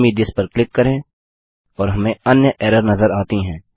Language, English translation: Hindi, Click on Send me this and we face another error